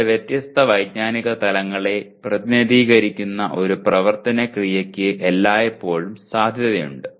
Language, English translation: Malayalam, There is always a possibility one action verb representing two different cognitive levels